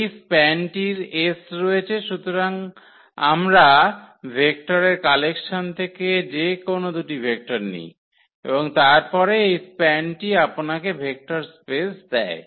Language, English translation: Bengali, This span has S so, we take any two any vectors collection of vectors and then the span of this will give you the vector space